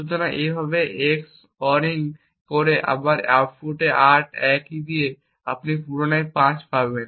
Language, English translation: Bengali, So, a similarly by EX ORING again the output 8 with that same key you re obtain 5